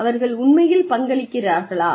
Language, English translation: Tamil, Are they really contributing